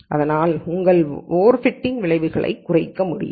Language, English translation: Tamil, So that your over fitting effects can be reduced